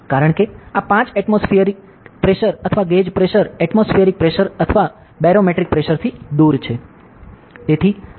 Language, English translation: Gujarati, Because, this 5 atmospheric pressure or the gauge pressure is devoid of the atmospheric pressure or the barometric pressure, ok